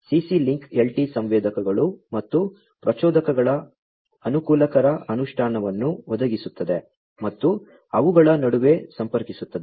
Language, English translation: Kannada, CC link LT provides convenient implementation of sensors and actuators and connecting between them